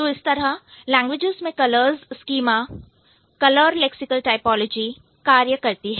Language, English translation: Hindi, So, that is how the color schema or the color lexical typology works in most of the languages